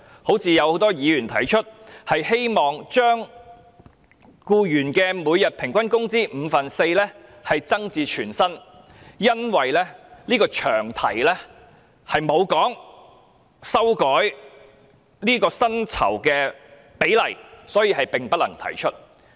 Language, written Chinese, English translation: Cantonese, 很多議員提出，希望將僱員侍產假的每日工資由五分之四增至全薪，但都因為這個詳題並無提到修改薪酬的比例，所以並不能提出。, Some Members proposed to amend the rate of paternity leave pay from the daily rate of four fifths of the employees daily wages to full pay but their proposed amendments were not admissible because such a change to the rate of wages was not mentioned in the Bills long title